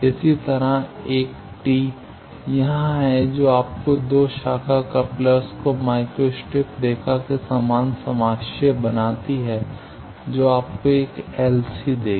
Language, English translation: Hindi, Similarly A t here that gives you 2 branch couplers similarly coaxial to micro strip line that will give you an LC